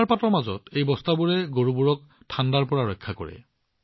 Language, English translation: Assamese, During snowfall, these sacks give protection to the cows from the cold